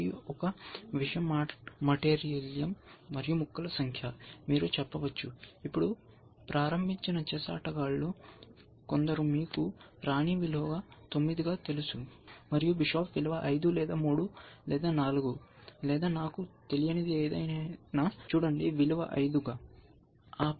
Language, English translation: Telugu, So, one thing is material, number of pieces, you can say, some of now beginning chess players might say, that you know a queen as value 9, and bishop has value 5 or 3 or 4 or whatever I do not know, look as value 5